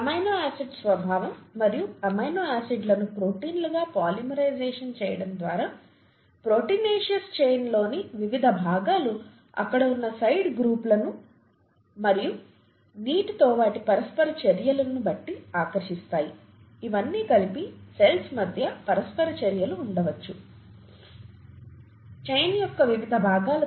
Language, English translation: Telugu, By the very nature of amino acids and the polymerisation of amino acids into proteins, different parts of the proteinaceous chain would attract depending on the side groups that are there and their interactions with water, all these combined, there could be interactions between molecules that are on different parts of the chain